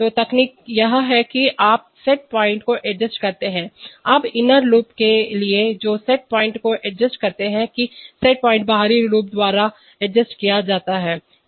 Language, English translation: Hindi, So the technique is that you adjust the set point, now for the inner loop who adjust the set point that the set point is adjusted by the outer loop